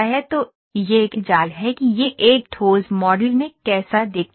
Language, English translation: Hindi, So, this is a mesh that how it looks like in a solid model